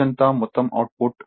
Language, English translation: Telugu, Total output during the whole day